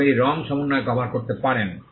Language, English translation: Bengali, And it can also cover combination of colours